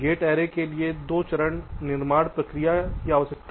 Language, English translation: Hindi, gate array requires a two step manufacturing process